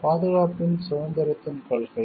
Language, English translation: Tamil, Principle of independence of protection